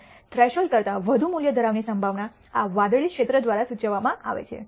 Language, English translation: Gujarati, And the probability that can have a value greater than the threshold is indicated by this blue area